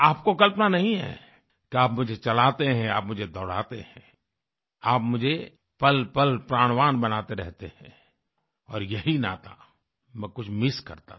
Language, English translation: Hindi, You possibly don't know that you are the ones who make me walk, who make me run and keep me full of life and zest… this is the very bond that I used to miss